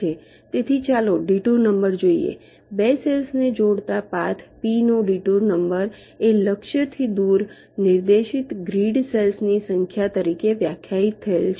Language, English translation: Gujarati, so the detour number, let see the detour number of a path, p that connects two cells is defined as the number of grid cells directed away from the target